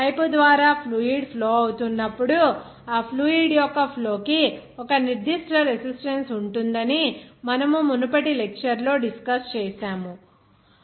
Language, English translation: Telugu, I think we have discussed in our previous lecture that suppose that when fluid is flowing through the pipe, there will be a certain resistance to the flow of that fluid